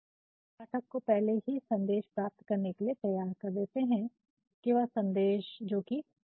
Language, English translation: Hindi, So, that you are actually going to prepare the reader to receive the message that is going to come and the message is unpleasant